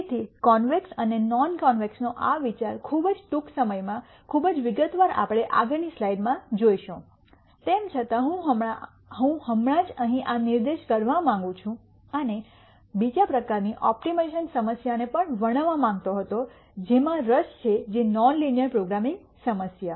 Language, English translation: Gujarati, So, this idea of convex and non convex very very briefly without too much detail we will see in the next few slides nonetheless I just wanted to point this out here and also wanted to describe the second type of optimization problem that is of interest which is the nonlinear programming problem